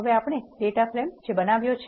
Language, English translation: Gujarati, Let us first look at what data frame is